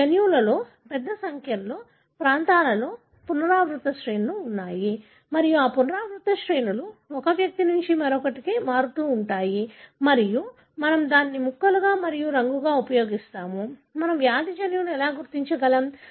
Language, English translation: Telugu, So you have in, your genome, in large number of the regions are having repeat sequences and these repeat sequences vary from one individual to the other and we use this as the piece as well as the colour and that is how we identify the disease gene